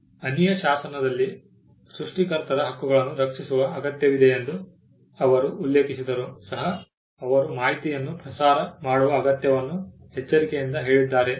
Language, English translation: Kannada, We found that in the statute of Anne though they have mentioned that there is a need to protect the rights of the creators they are also carefully worded the need to disseminate information as well